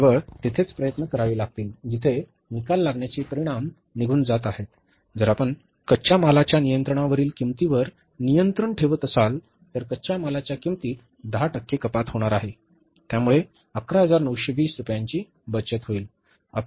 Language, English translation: Marathi, If you are controlling, making efforts on the controlling the cost of raw material, 10% reduction in the cost of raw material is going to save for you 11,920 rupees